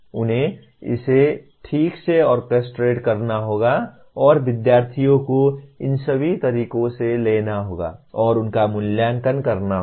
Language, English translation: Hindi, They have to properly orchestrate it and kind of the students have to be taken through all these modes and evaluated